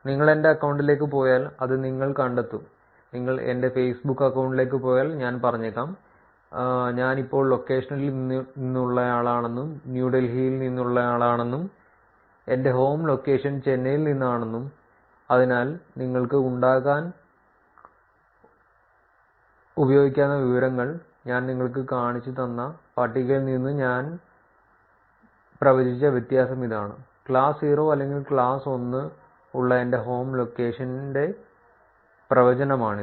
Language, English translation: Malayalam, If you go to my account, you will find that is, if you go to my facebook account I probably say that I am from the current location is from New Delhi and my home location is from Chennai, so that information you can use to make the difference which is what did we predict from the table that I showed you know, which is prediction of my home location with class 0 or class 1